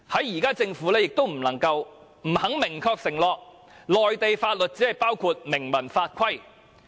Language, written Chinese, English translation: Cantonese, 現時政府不能夠解釋，亦不肯明確承諾，內地法律是否只包括明文法規。, At present the Government is unable to explain and reluctant to make an unambiguous undertaking that if Mainland laws only mean laws and regulations in writing